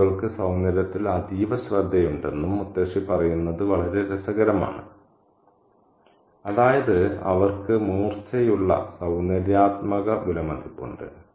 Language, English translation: Malayalam, And it's very interesting that the grandmother says that crows have a keen eye for beauty, very keen eye for beauty, which means they have sharp aesthetic appreciation